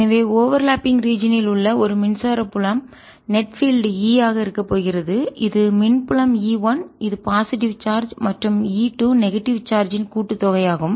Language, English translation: Tamil, so a electric field in the overlapping region is going to be net field, is going to be e, which is sum of electric field, e one which is due to the positive charge, plus e two which is due to the negative charge